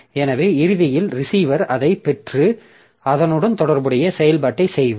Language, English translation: Tamil, So, eventually the receiver will receive it and do the corresponding operation